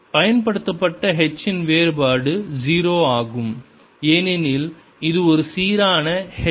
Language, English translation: Tamil, divergence of h applied is zero because it's a uniform h